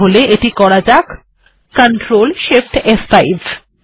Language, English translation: Bengali, Lets do that, ctrl shift, f5